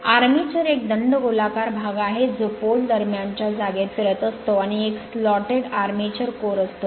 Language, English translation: Marathi, The armature is a cylindrical body rotating in the space between the poles and comprising a slotted armature core